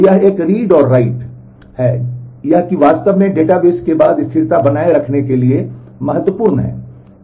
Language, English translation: Hindi, So, it is a read and write that actually are important for that maintaining the consistency after database